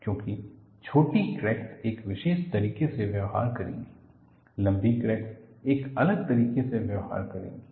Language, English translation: Hindi, Because short cracks will behave in a particular manner; longer cracks will behave in a different fashion